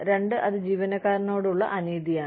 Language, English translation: Malayalam, Two, it is unfair to the employee